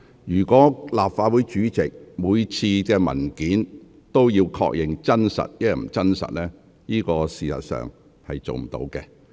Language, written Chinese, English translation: Cantonese, 如果立法會主席每次也要確認文件內容是否屬實，事實上是無法做到的。, In fact it is unfeasible for the President of the Legislative Council to confirm every time whether the contents of a paper are true